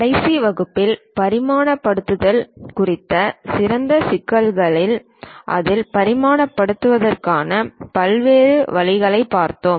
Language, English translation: Tamil, On special issues on dimensioning in the last class we try to look at different ways of dimensioning it